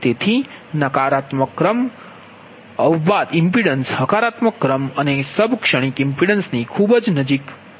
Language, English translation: Gujarati, so therefore the negative sequence impedance is very close to the positive sequence sub transient impedance